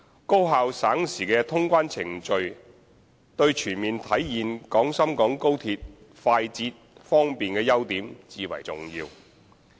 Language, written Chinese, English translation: Cantonese, 高效省時的通關程序對全面體現廣深港高鐵快捷、方便的優點至為重要。, Efficient and time - saving clearance procedures are absolutely essential to realizing the full potential of XRL in terms of speed and convenience